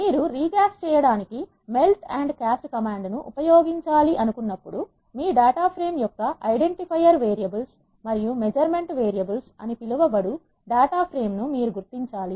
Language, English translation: Telugu, This is the data from you have when you want to use melt and cast command to recast, the data frame you need to identify what are called identifier variables and measurement variables of your data frame